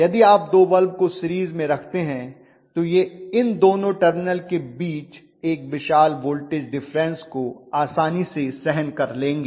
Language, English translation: Hindi, If you put two of them in series, you are sure that it will withstand that much of voltage if there is a huge voltage difference between these two terminals okay